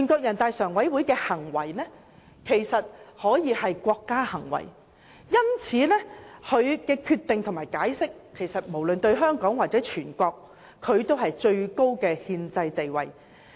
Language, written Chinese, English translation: Cantonese, 人大常委會的行為其實可說是國家行為，所以其決定和解釋無論對香港或全國而言均具有最高的憲制地位。, As NPCSCs acts can actually be regarded acts of State its decisions and interpretations have the highest constitutional status both to Hong Kong and nation - wide